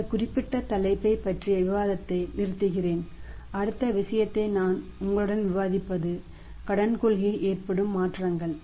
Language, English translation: Tamil, So, we say stop the discussion hear about this particular topic know the next thing which I will discuss with you is that is the changes in the credit policy changes in the credit policy